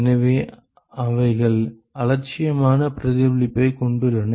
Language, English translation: Tamil, So, they have negligible reflection